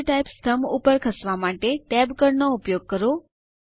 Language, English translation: Gujarati, Use the Tab key to move to the Field Type column